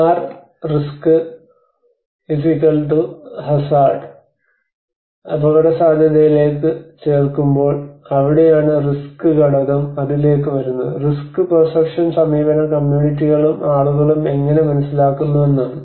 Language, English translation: Malayalam, Where we call about R=risk=hazard when vulnerability adds on to it that is where the risk component comes to it and this is the risk perception approach how people how the communities percept this approach you know the risk